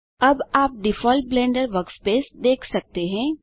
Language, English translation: Hindi, Now you can see the default Blender workspace